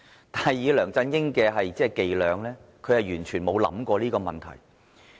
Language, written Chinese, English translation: Cantonese, 但是，以梁振英的伎倆，他完全沒有想過這個問題。, However it has never occurred to LEUNG Chun - ying that he should think about this question due to his low calibre